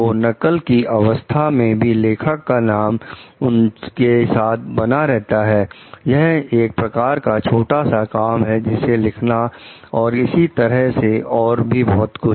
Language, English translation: Hindi, So, the copy the author s name remains with them; it is like the piece of work, the writings etcetera